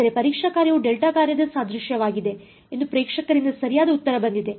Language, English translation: Kannada, So, the correct answer has come from the audience that the testing function was the analogue of a delta function ok